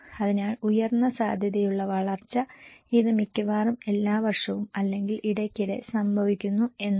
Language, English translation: Malayalam, So, drought which is high probability, this means happening almost every year or very frequently